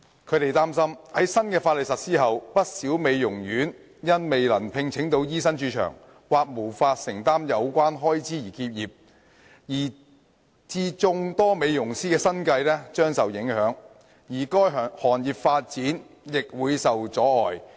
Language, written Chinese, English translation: Cantonese, 他們擔心在新法例實施後，不少美容院因未能聘請到醫生駐場，或無法承擔有關開支而結業，以致眾多美容師的生計將受影響，而該行業的發展亦會受窒礙。, They are worried that upon the implementation of the new legislation quite a number of beauty salons may close down as they fail to recruit medical practitioners to station on site or cannot afford the relevant expenses . Consequently the livelihood of many beauticians will be affected and the development of the industry will be hindered